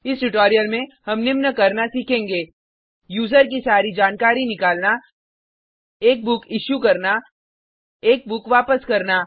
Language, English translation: Hindi, So, In this tutorial we have learnt: To list all the users To fetch a book To return a book